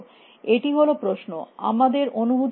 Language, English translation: Bengali, Is the question, what is your intuition